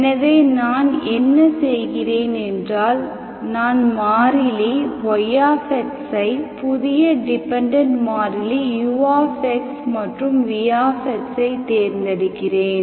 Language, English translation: Tamil, So what I do is, I choose my dependent variable y x in terms of new dependent variable Ux with some that of vx